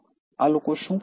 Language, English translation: Gujarati, What do these people do